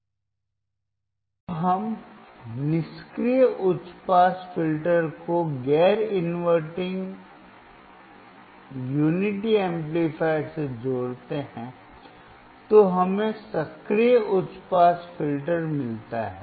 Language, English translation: Hindi, When we connect the passive high pass filter to the non inverting unity amplifier, then we get active high pass filter